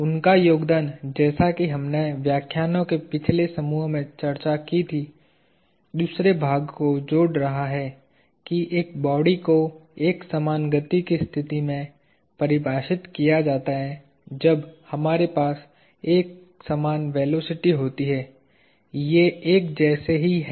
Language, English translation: Hindi, His contribution like we discussed in the previous set of lectures is adding the second part that, a body in a state of uniform motion defined as one where we have constant velocity is also analogous